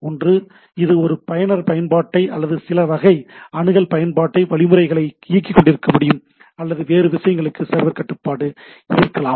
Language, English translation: Tamil, One is that can it can be running a user applications or some sort of access control mechanisms, or there is a server control for some other things, right